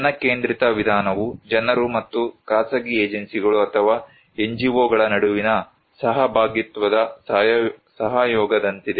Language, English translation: Kannada, People's centric approach is more like a collaboration of partnership between people and the private agencies or NGO’s